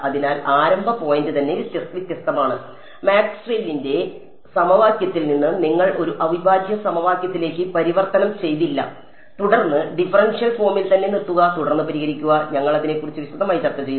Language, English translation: Malayalam, So, the starting point itself is different, from Maxwell’s equation you do not convert all the way to an integral equation and then solve you stop at the differential form itself and then solve and we will discuss in detail about it